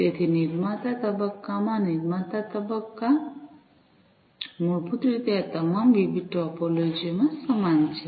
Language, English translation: Gujarati, So, in the producer phase the producer phase, basically, is similar across all these different topologies